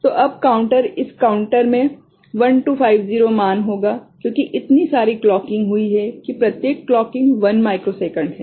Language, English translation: Hindi, So now the counter, this counter will be having 1 2 5 0 value because so many clocking has taken place each clocking is 1 microsecond right